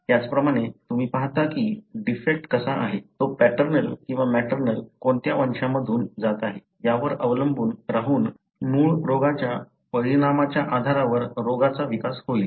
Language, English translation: Marathi, Likewise you see that how a defect, depending on whether it is paternal or maternal which lineage it is passing through would end up developing into a disease, depending on the parent of origin effect